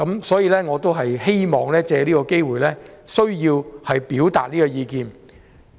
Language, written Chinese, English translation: Cantonese, 所以，我希望藉此機會表達這意見。, I thus wish to take this opportunity to voice this viewpoint